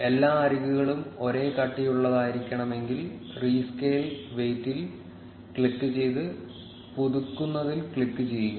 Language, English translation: Malayalam, If you want all the edges to be of the same thickness, then click on rescale weight and click on refresh